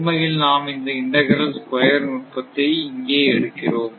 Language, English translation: Tamil, So, actually if we take integral square error technique or so